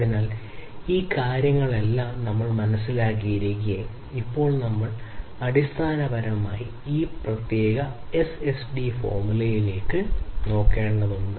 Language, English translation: Malayalam, So, while we have understood all of these things we now need to basically look at this particular S over SD formula